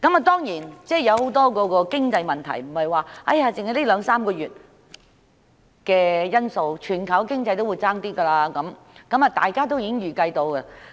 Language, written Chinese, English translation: Cantonese, 當然，很多經濟問題的出現，不能只歸咎於這兩三個月的因素，全球經濟環境欠佳，是大家可以預計到的。, Certainly the emergence of many economic problems cannot be attributed solely to the factors which have arisen in these two or three months as the poor global economic environment is anticipated by everyone